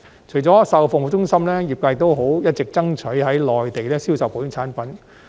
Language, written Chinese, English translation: Cantonese, 除了售後服務中心，業界亦一直爭取在內地銷售保險產品。, Apart from the after - sales service centres the industry has also been striving for the sale of insurance products in the Mainland